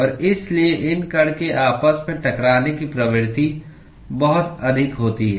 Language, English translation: Hindi, And so, the propensity for these molecules to collide with each other is very high